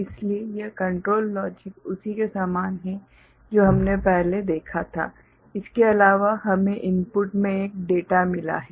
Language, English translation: Hindi, So, this control logic block a similar to what we had seen before in addition we have got a data in input ok